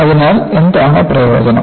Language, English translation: Malayalam, So, what is the advantage